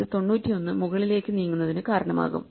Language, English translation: Malayalam, So, this will result in 91 moving up there